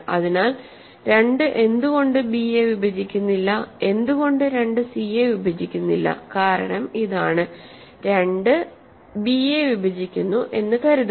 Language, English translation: Malayalam, So, why does not 2 does not divide why does, why does not 2 divide b, the reason is so, suppose 2 divides b